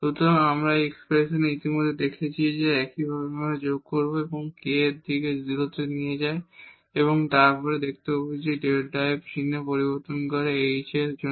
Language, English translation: Bengali, So, we had this expression already we have seen; now similarly we will add that k tends to 0 and then we will find that delta f changes sign for h